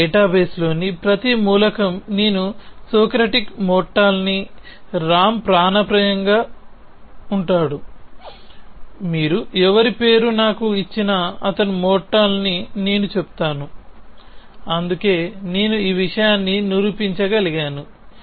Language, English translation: Telugu, Every element in my database I could say Socratic is mortal, Ram is mortal whoever essentially, anybody you give me a name and I will say he is mortal that is why I could prove that thing